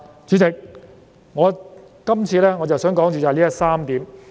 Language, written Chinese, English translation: Cantonese, 主席，今次，我想先說的就是這3點。, President these three points are all that I wish to talk about this time